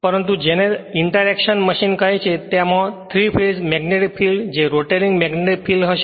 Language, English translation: Gujarati, But in the you are what you call in the interaction machine it will be 3 phased magnetic field the rotating magnetic field